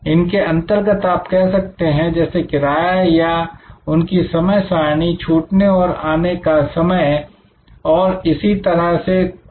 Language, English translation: Hindi, These are like say fare or their schedule, departure arrival time and so on